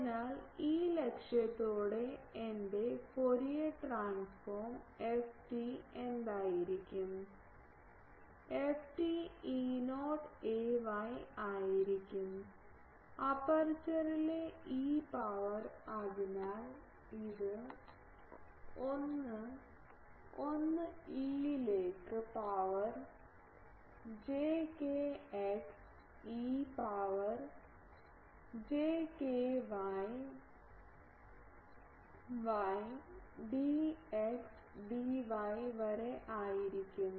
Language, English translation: Malayalam, So, with this aim what will be my Fourier transform f t, f t will be E not sorry E not that ay then on the aperture e to the power so, this is 1, 1 into e to the power j kx e to the power j ky y dx dy